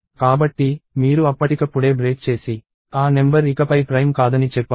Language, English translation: Telugu, So, you can break right then and there and say that the number is not prime any more